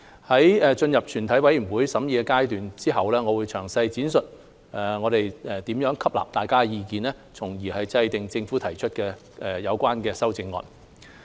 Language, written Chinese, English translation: Cantonese, 在進入全體委員會審議階段後，我會詳細闡述我們如何吸納大家的意見，從而制訂政府提出的有關修正案。, After this Council has proceeded to the Committee stage to consider the Bill I will explain in detail how I have incorporated the views of Members in preparing the amendments proposed by the Government